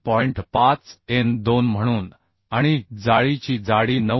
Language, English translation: Marathi, 5 as n2 and thickness of web is 9